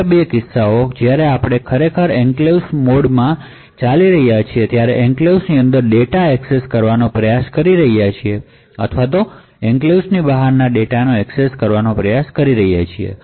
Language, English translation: Gujarati, The two other cases are when you are actually running in the enclave mode and you are trying to access data within the enclave or trying to access data which is outside the enclave so both of this should be permitted by the processor